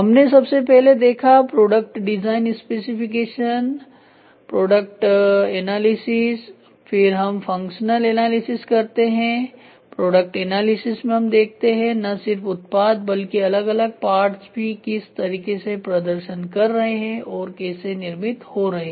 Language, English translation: Hindi, First will be a product design specification product analysis, then we do functional analysis, product analysis how is the product performing how are the functions performing perform